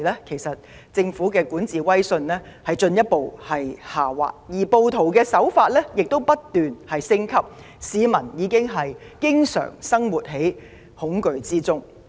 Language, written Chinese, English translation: Cantonese, 當時，政府的管治威信已進一步下滑，暴徒的行動則不斷升級，令市民每天活在恐懼中。, By then the prestige of the Government in governance had slipped further and the rioters acts had continued to escalate . The citizens were living in fear every day